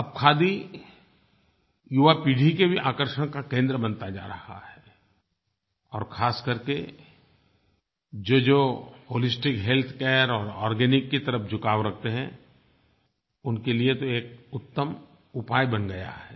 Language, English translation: Hindi, Now, khadi is becoming the centre of attraction for the young generation and has become a perfect solution for those who have an inclination for organic and holistic health care